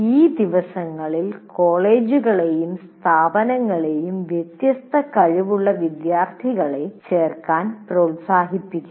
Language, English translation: Malayalam, And these days colleges or institutions are encouraged to enroll differently able students